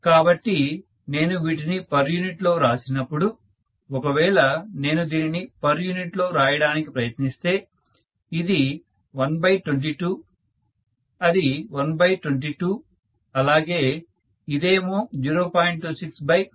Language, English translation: Telugu, So when I write it in per unit, if I try to write this in per unit, this is 1 by 22 that is 3 by 22, whereas this will be 0